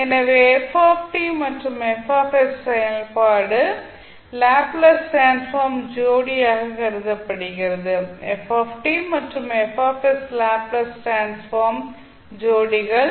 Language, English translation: Tamil, So, what we can say the function ft and fs are regarded as the Laplace transform pair where ft and fs are the Laplace transform pairs